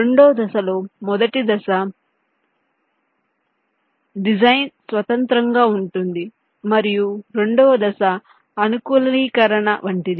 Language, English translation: Telugu, the first step is design independent and the second step is more like customization